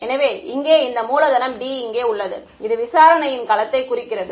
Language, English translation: Tamil, So, here I have this capital D over here is showing domain of investigation ok